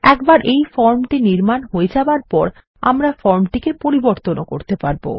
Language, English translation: Bengali, Once we design this form, we will be able to update the form